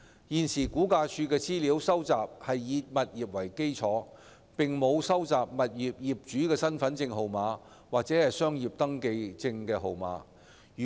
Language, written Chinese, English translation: Cantonese, 現時，估價署收集的資料是以物業為基礎，並沒有業主的身份證號碼或商業登記證號碼。, At present the collection of information by RVD is based on tenements instead of owners identity card numbers or business registration numbers